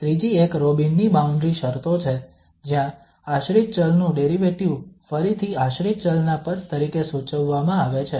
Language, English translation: Gujarati, The second, the third one is the Robin's boundary conditions, where the derivative of the dependent variable is prescribed in terms of again, dependent variable